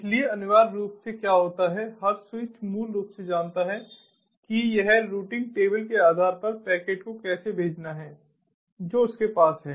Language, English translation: Hindi, so what essentially happens is every switch basically knows how it has to send the packet, based on the routing table that it has, so it doesnt have a global view of the network as a whole